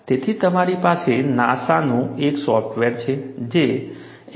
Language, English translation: Gujarati, So, what you have is, you have a software by NASA, which is known as NASGRO 3